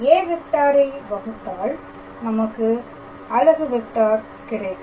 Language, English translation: Tamil, So, this is the given vector from here I have to obtain a unit vector